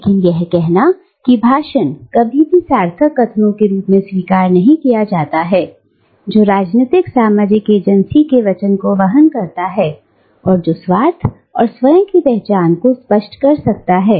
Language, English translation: Hindi, But, it is to say that this speech never gets accepted as meaningful utterances, which carries the weight of socio political agency, and which can articulate self interest and self identity